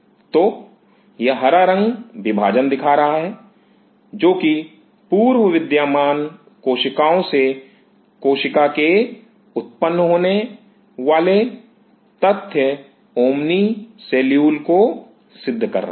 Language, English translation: Hindi, So, this green is showing the dividing which is proving the point omni cellule cell arising from pre existing cells